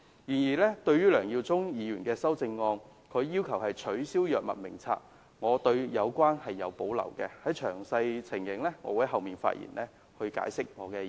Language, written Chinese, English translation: Cantonese, 但是，我對於梁耀忠議員的修正案要求取消《醫院管理局藥物名冊》有所保留，我稍後的發言會詳細解釋我的意見。, However I have reservation in Mr LEUNG Yiu - chungs amendment as he proposes to abolish the Hospital Authority Drug Formulary . I will explain my views in details later on